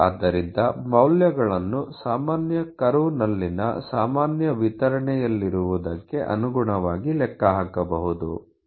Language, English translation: Kannada, So, that the values can be calculated in accordance to what is they are in the normal distribution on normal curve